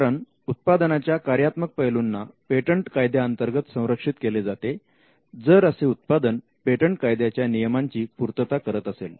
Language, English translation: Marathi, If it is the functional aspect of the product, then it should be protected by a patent provided it satisfies the requirements in patent law